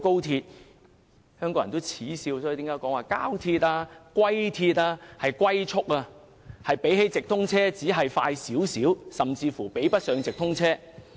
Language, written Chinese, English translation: Cantonese, 香港人耻笑高鐵為"膠鐵"或"龜鐵"，車速只比直通車快少許，甚至比不上直通車。, Hong Kong people have derided XRL as a plastic railway or a turtle railway with a speed only slightly faster than or even not as fast as an intercity through train